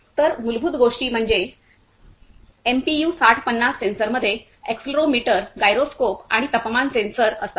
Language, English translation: Marathi, So, the basic things are that MPU 6050 sensor consists of accelerometer, gyroscope and temperature sensor